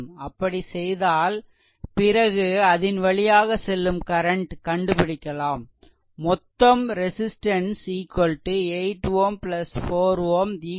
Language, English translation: Tamil, So, if you do so, then current flowing through this you find out; so, total resistance here it is 8 ohm, here it is 4 ohm 12 ohm